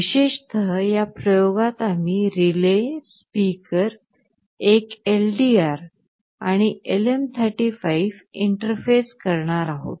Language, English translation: Marathi, Specifically in this experiment we will be interfacing a relay, a speaker, a LDR and LM35